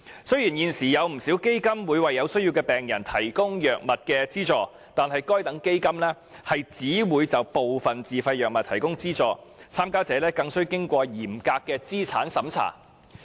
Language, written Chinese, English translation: Cantonese, 雖然現時有不少基金會為有需要的病人提供藥物資助，但該等基金只會就部分自費藥物提供資助，參加者更須通過嚴格的資產審查。, Although patients in need may now apply for drugs assistance under a number of charity funds financial assistance provided in this respect only covers certain self - financed drug items and applicants must also pass a strict asset test